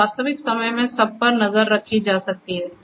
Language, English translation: Hindi, So everything can be monitored in real time